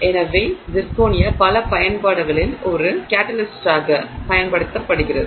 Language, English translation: Tamil, So, zirconia is used as a catalyst in a number of applications